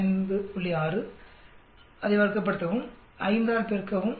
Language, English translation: Tamil, 6, square it up, multiply by 5